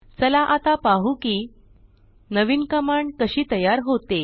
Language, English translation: Marathi, Lets take a look at how a new command is created